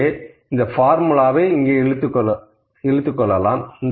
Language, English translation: Tamil, So, I will pick this formula to do my calculations here